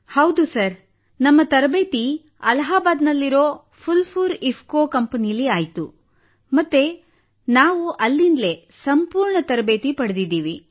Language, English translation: Kannada, Ji Sir, the training was done in our Phulpur IFFCO company in Allahabad… and we got training there itself